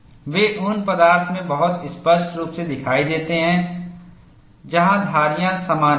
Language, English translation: Hindi, We have very clearly seen, in those materials where striations are common